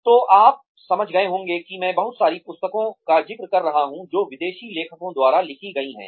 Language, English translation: Hindi, So, you must have realized that, I am referring to a lot of books, written by foreign authors